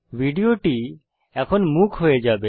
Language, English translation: Bengali, The video is now without audio